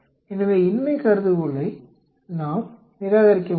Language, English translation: Tamil, So, we can reject the null hypothesis